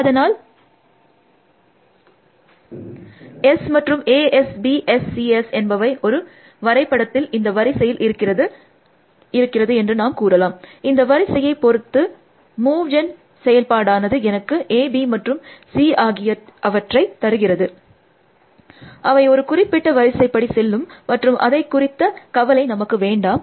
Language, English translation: Tamil, So, let say S nil and A S, B S, C S in some graph now this is an ordered, this I am depending on the order and which may move gen function gives me this A B and C, they will go in some particular order that is not worry about that